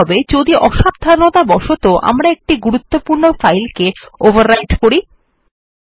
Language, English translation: Bengali, Now what if we inadvertently overwrite an important file